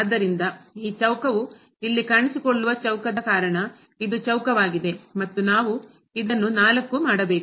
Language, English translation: Kannada, So, this is square because of the square this square will appear here, and we have to make this 4